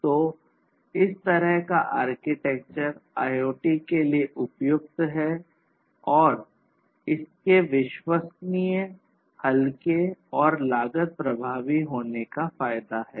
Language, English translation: Hindi, So, this kind of architecture is suitable for IoT and it has the advantage of being reliable, lightweight, and cost effective